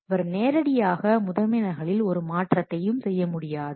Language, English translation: Tamil, He cannot just do the change on the master copy